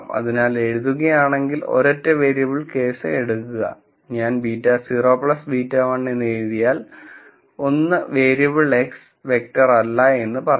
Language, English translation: Malayalam, So, just take a single variable case if I if I write let us say beta naught plus beta 1 just 1 variable X not a vector